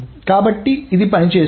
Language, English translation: Telugu, So this works